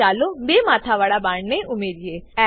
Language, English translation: Gujarati, Now lets add a double headed arrow